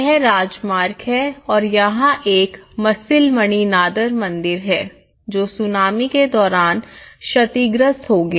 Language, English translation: Hindi, So, this is the highway and it goes like this and this is a Masilamani nadhar temple which caused damage during the tsunami